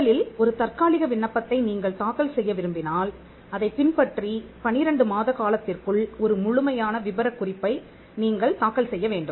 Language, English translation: Tamil, If you follow the option of filing a provisional first, then within a period of 12 months you have to follow it up with by filing a complete specification